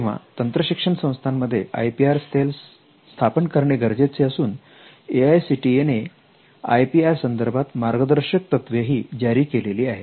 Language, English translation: Marathi, So, the IPR cell is required and AICTE has also come up with a guidelines for IPR for technical institutes